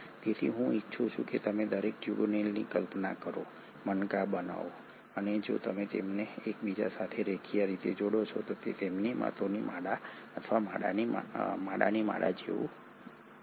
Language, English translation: Gujarati, So I want you to imagine each tubulin to be a bead and if you connect them linearly to each other it is like a string of pearls or a string of beads